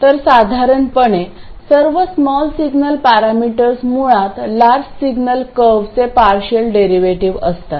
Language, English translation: Marathi, So, in general, all small signal parameters are basically derivatives of the large signal curves